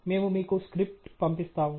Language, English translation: Telugu, We can send you the script